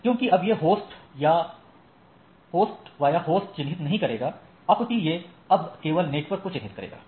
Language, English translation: Hindi, So, it now does not address host by host, but address a network